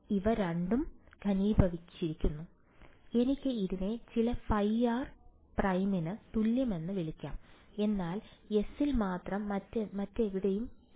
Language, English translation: Malayalam, So, these two have been condensed into I can call it equal to some phi r prime, but only on S not anywhere else right